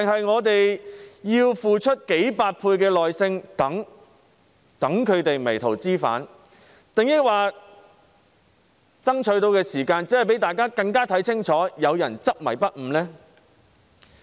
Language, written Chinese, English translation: Cantonese, 我們是否要付出數倍的耐性，等他們迷途知返，又或爭取時間讓大家看得更清楚有人執迷不悟呢？, Do we need to be extra patient and wait for them to mend their ways or do we have to buy time for people to see their intransigence more clearly?